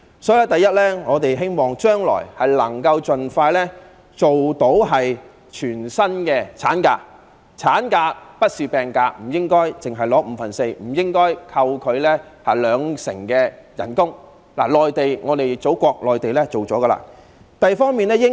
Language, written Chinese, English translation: Cantonese, 所以，第一，我們希望將來可以盡快落實全薪產假，產假並不是病假，不應只發放五分之四薪金，亦不應扣除兩成薪金，內地——我們的祖國——已推行這一方面的措施。, Therefore firstly we hope that full - pay maternity leave can be implemented as soon as possible . Maternity leave is not sick leave . The maternity leave pay per day should not be calculated at the rate of only four - fifths of the daily wages of an employee or having the wages deducted by 20 %